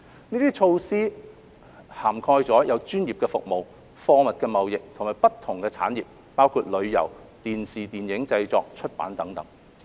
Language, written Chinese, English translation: Cantonese, 這些措施涵蓋專業服務、貨物貿易，以及不同產業，包括旅遊、電影電視製作、出版等。, These measures cover professional services trade in goods and various industries including tourism production of films and television programme and publishing